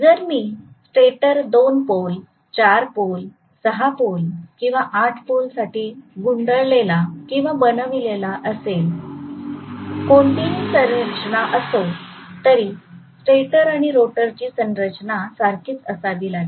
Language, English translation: Marathi, If I have wound the stator for 2 pole, 4 pole, 6 pole, 8 pole whatever configuration I have to have similar pole configuration for the stator as well as rotor